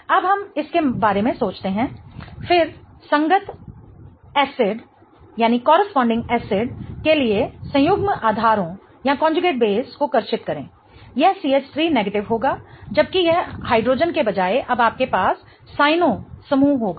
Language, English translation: Hindi, Again, draw the conjugate basis for the corresponding acid, this will be CH3 minus, whereas this will be, instead of hydrogen, now you have a cyanog group